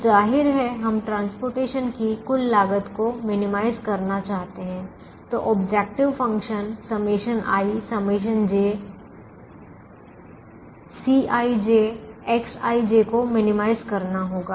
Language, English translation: Hindi, now obviously we want to minimize the total cost of transportation, so the objective function will be to minimize summation over i, summation over j, c, i, j, x, i, j